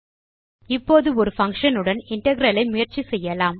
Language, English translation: Tamil, Now let us try an integral with a function